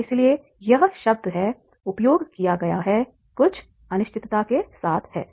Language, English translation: Hindi, So that is why the word has been used that is with some uncertainty is there